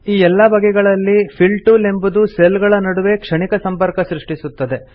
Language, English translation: Kannada, In all these cases, the Fill tool creates only a momentary connection between the cells